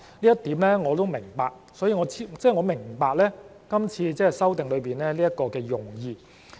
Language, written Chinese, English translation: Cantonese, 這點我是明白的，即我明白今次這一項修訂的用意。, I understand this notion meaning I understand the intention of this amendment